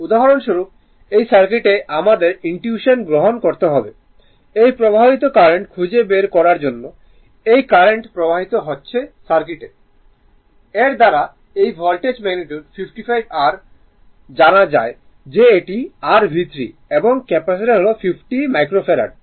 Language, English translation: Bengali, For example, in this circuit you have to you have to , you have to , from your intuition you have to find out this is the current flowing this is the current flowing, current flowing , through the Circuit I, this Voltage magnitude 55 your Volt is known that is your V 3 and Capacitor is 50 micro Farad right